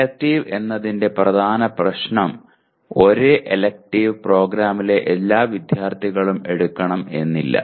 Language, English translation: Malayalam, The main issue of elective is same elective may not be taken by all the students of the program